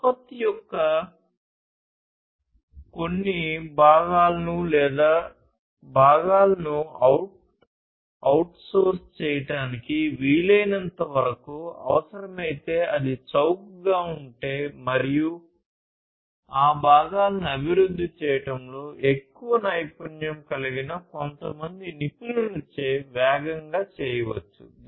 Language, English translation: Telugu, If required as much as possible to outsource to outsource some parts of the product or the components, as the case, may be if it is cheaper and can be done faster by some experts, who are more, who have more expertise, in developing those components